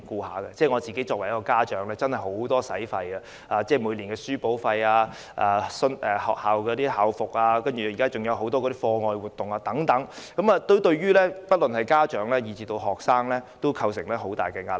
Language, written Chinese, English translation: Cantonese, 我身為家長，支出真的十分多，每年的書簿費、校服，現在還有很多課外活動等，對於家長和學生也構成很大壓力。, As a parent I spend a hefty sum every year on textbooks school uniforms and now many extra - curricular activities which put huge pressure on parents and students alike